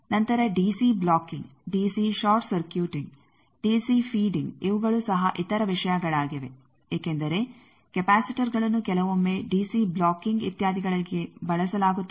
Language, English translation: Kannada, Then DC blocking, DC short circuiting, DC feeding these are also other things because capacitors sometimes are used for DC blocking etcetera